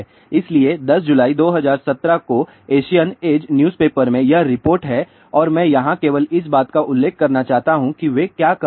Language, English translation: Hindi, So, this is the report in Asian Age newspaper July 10, 2017 and I just want to mention here what they are saying